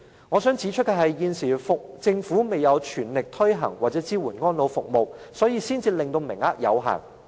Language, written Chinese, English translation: Cantonese, 我想藉此指出，政府現時未有全力推行或支援這些安老服務，名額才會這麼有限。, I want to take this opportunity to point out that the quotas of these elderly care services are so limited because the Government has not tried its best to implement or support elderly care services